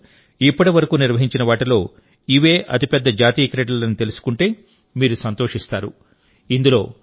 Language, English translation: Telugu, You will be happy to know that the National Games this time was the biggest ever organized in India